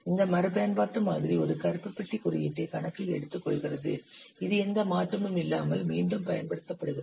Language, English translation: Tamil, This reuse model takes into account a black bus code that is reused without any change